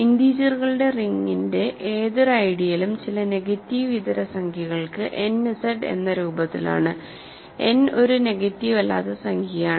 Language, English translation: Malayalam, Any ideal of the ring of integers is of the form n Z for some non negative integer right, n is a non negative integer